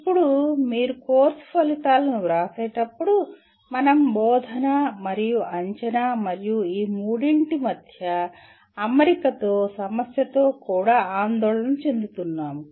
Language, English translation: Telugu, Now when you write course outcomes we are also concerned with the instruction and assessment as well and the issue of alignment between all the three